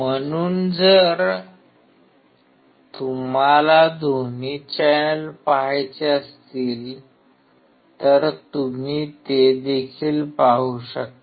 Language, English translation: Marathi, So, if you want to see both the channels you can see that as well